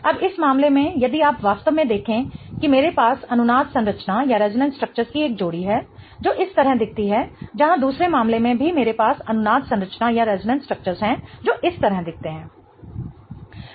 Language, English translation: Hindi, Now in this case if you really see I have a pair of resonance structure that looks like this whereas in the other case I have also resonance structure that looks like this